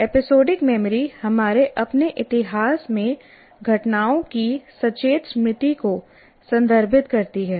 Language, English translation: Hindi, Episodic memory refers to the conscious memory of events in our own history